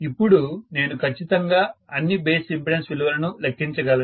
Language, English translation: Telugu, Then I can definitely calculate what are all the base impedances